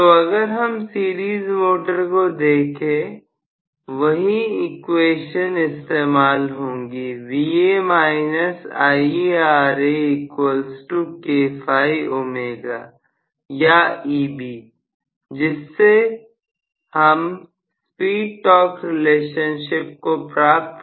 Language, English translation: Hindi, So, if I look at the series motor the same equations will be valid Va minus Ia into Ra equal to K phi omega or Eb from which I should be able to derive the speed torque relationship for this